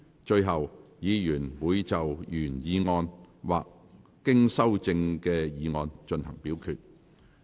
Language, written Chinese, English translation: Cantonese, 最後，議員會就原議案或經修正的議案進行表決。, Finally Members will vote on the original motion or the motion as amended